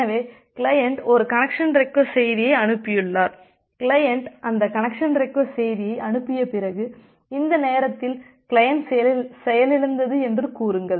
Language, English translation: Tamil, So, the client has sent one connection request message, after the client has sent that connection request message, say at this point the client has crashed